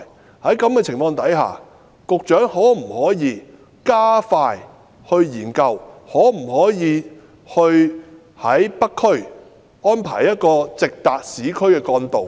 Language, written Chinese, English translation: Cantonese, 我想問局長，在這種情況下，局長可否加快研究，能否在北區安排一條直達市區的幹道？, May I ask the Secretary whether he will under the circumstances speed up the study on the feasibility of arranging a trunk road going directly from North District to the urban areas?